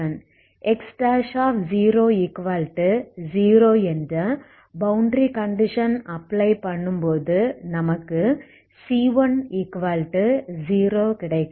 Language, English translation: Tamil, Now if you apply the other boundary condition X at L L equal to 0 will give me c 2 has to be 0